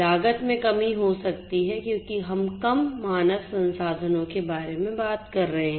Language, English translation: Hindi, Reduction in cost can happen because we are talking about reduced human resources